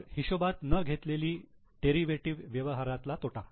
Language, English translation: Marathi, Then unrealized loss on derivative transactions